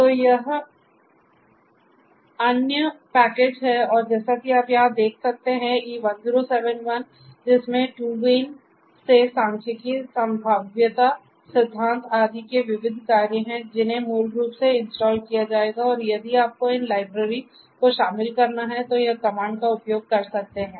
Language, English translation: Hindi, So, this is this other package and as you can see over here e1071 which has miscellaneous functions of the department of statistics probability theory etcetera from TU Wien that basically will be installed and also then if you have to want to include these libraries then these are the comments to be used